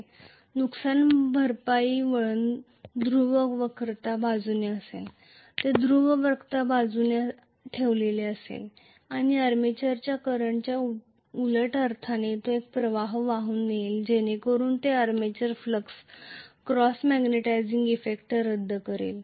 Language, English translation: Marathi, Compensating winding will be along the pole curvature, it will be placed along the pole curvature and it will be essentially carrying a current in the opposite sense of the armature current so that it will be nullifying the armature flux cross magnetizing effect